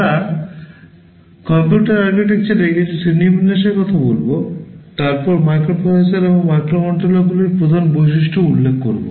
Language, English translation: Bengali, We shall be talking about some classification of computer architectures, followed by the main characteristic features of microprocessors and microcontrollers